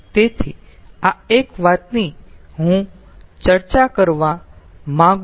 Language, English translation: Gujarati, so this is one thing i like to discuss